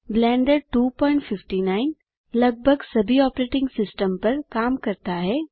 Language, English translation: Hindi, Blender 2.59 works on nearly all operating systems